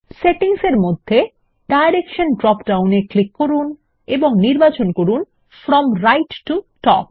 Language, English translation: Bengali, Under Settings, click the Direction drop down and select From right to top